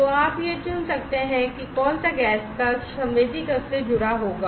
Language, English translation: Hindi, So, you can select that which gas chamber will be connected to the sensing chamber